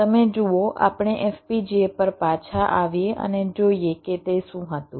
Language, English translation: Gujarati, you see, lets come back to fpga and see what it was